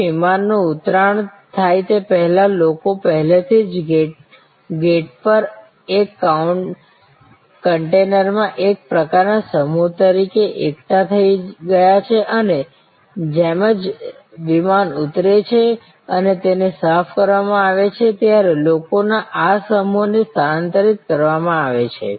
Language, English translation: Gujarati, So, just at before the aircraft lands, people have been already accumulated at the gate as a sort of stock in a container and as soon as the aircraft lands and he is cleaned, these container load of people are then transferred